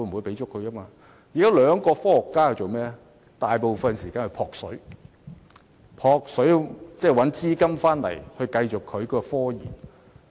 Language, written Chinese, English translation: Cantonese, 現在該兩位科學家大部分時間在"撲水"，尋找資金繼續進行研究。, Now the two scientists spend most of their time to seek funding to support their ongoing research